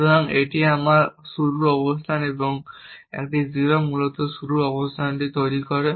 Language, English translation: Bengali, So, this is my starting position and a 0 essentially produce this starting position